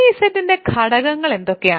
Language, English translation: Malayalam, What are the elements of 3 Z